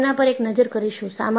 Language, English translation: Gujarati, We will have a look at it